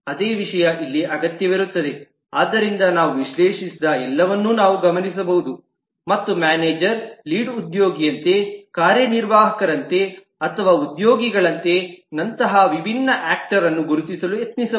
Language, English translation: Kannada, so all that we have analyzed, we can look over them and try to identify different actors, like manager, like lead, like executive or even like employee and so on